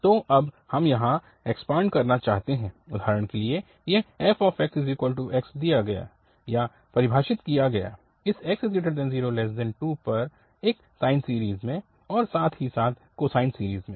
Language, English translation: Hindi, Well, so now here we want to expand for instance, this f x is equal to x given or defined in this 0 to 2 in a sine series and as well as in the cosine series